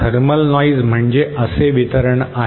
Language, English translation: Marathi, Thermal noise is a distribution like this